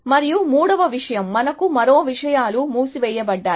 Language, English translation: Telugu, And the third thing, one more things closed as for us